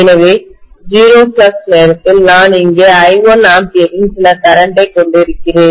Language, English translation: Tamil, So at 0 flux itself, I am having some current of I1 ampere here